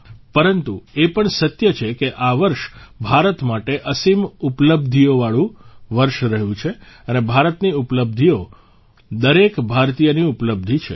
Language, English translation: Gujarati, But it is also true that this year has been a year of immense achievements for India, and India's achievements are the achievements of every Indian